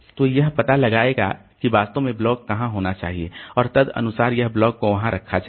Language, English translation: Hindi, So, so where it will be it will find out where exactly the block should be there and accordingly it will be putting the block there